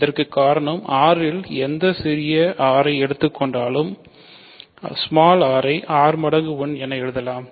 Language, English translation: Tamil, This is because take any small r in R, r can be written as r times 1